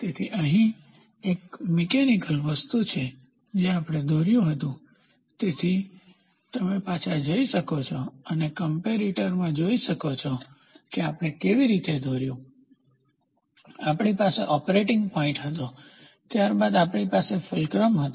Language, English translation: Gujarati, So, here is a mechanical thing which I draw, so you can go back and see in comparator how did we do, we had operating point then we had a fulcrum